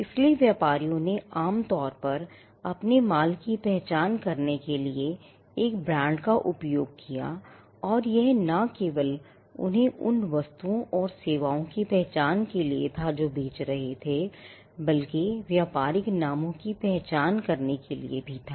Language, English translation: Hindi, So, traders usually used brands as a means to identify their goods and this came up by not only identifying them goods and services they were selling, but also to identify the business names